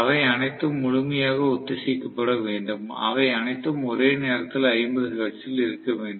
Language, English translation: Tamil, So, we cannot have any variation in the frequency whatsoever, all of them have to be completely synchronised, they all have to be simultaneously at 50 hertz